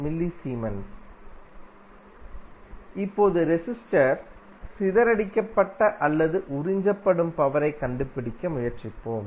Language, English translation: Tamil, Now, let us try to find the power dissipated or absorb by the resistor